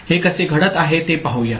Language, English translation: Marathi, So, let us see how it is happening